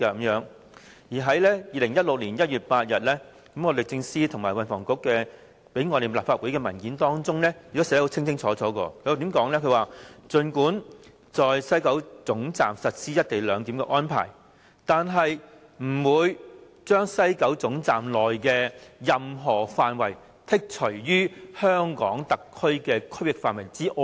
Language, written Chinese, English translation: Cantonese, 而在2016年1月8日，律政司和運輸及房屋局向立法會提供的文件亦清楚訂明："儘管在西九龍總站實施'一地兩檢'的安排，但是不會將西九龍總站內的任何範圍剔除於香港特區的區域範圍之外。, Then on 8 January 2016 the Department of Justice along with the Transport and Housing Bureau jointly submitted a document to the Legislative Council . The document clearly states Even if the co - location of the CIQ facilities of the HKSAR and the Mainland at the WKT is implemented no area within the WKT will be carved out of the HKSARs territory . This sends out a very important message